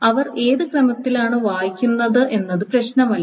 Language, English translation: Malayalam, So it doesn't matter which order they read